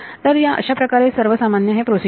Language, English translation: Marathi, So, that is going to be a general procedure